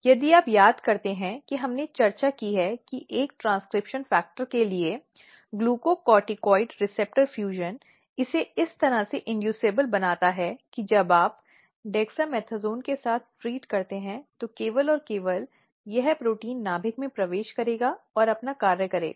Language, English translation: Hindi, So, if you recall one of our class we have discussed that glucocorticoid receptor fusion to a transcription factor basically make it inducible in a way that when you treat with dexamethasone then and only then this protein will enter in the nucleus and do its function